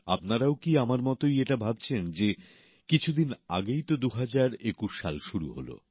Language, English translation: Bengali, Are you too thinking, the way I am that 2021 had commenced just a few days ago